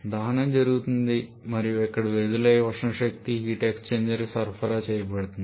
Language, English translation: Telugu, The combustion is happening and whatever thermal energy is released that is being supplied to a heat exchanger